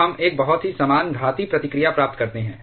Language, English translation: Hindi, So, we get a very similar exponential reaction